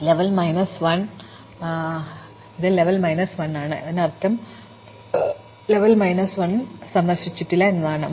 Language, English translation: Malayalam, So, if this level is minus 1, so its level is minus 1, it means it is not visit, so level minus 1 means not visited